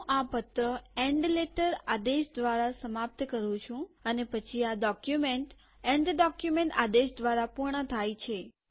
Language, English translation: Gujarati, I end the letter with end letter command and then the document is completed with the end document command